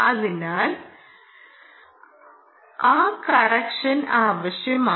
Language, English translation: Malayalam, so that correction was required